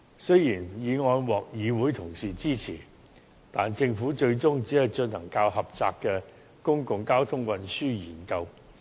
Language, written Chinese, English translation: Cantonese, 雖然議案獲議會同事支持，但政府最終只進行較狹窄的《公共交通策略研究》。, Although the motion was supported by colleagues in the Council the Government eventually decided to conduct the less comprehensive Public Transport Strategy Study